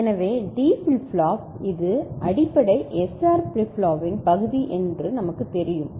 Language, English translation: Tamil, So, the D flip flop we know this is basic the SR flip flop part of it